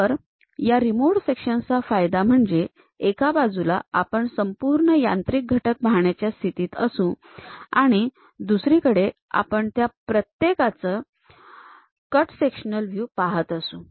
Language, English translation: Marathi, So, the advantage of this removed section is, at one side we will be in a position to see the complete machine element and also respective cut sectional views we can see